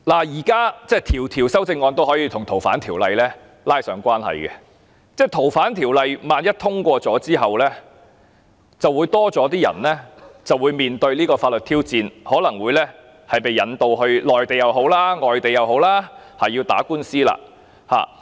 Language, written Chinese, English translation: Cantonese, 現時每項修正案也可以跟《逃犯條例》拉上關係，萬一《2019年逃犯及刑事事宜相互法律協助法例條例草案》獲得通過，便會有更多人面對法律挑戰，可能會被引渡至內地或外地打官司。, In other words LAD has to work harder to process these cases At present any amendment may be related to the Fugitive Offenders Ordinance . If the Fugitive Offenders and Mutual Legal Assistance in Criminal Matters Legislation Amendment Bill 2019 the Bill is passed more people will have to face legal challenges and they may be extradited to the Mainland or overseas to face lawsuits